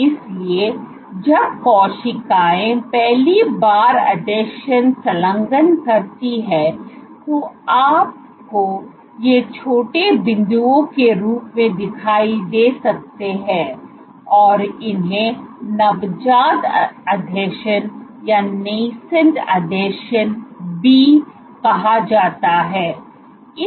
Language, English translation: Hindi, So, when cells first engage adhesions you might have these appear as small dots, these are even called nascent adhesions